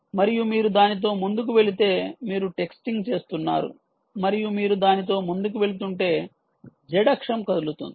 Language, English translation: Telugu, and if you move forward with it that is, you are texting and you are moving forward with it z axis will move